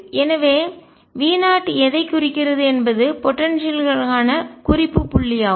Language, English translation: Tamil, And therefore, what V 0 represents is just a reference point for the potential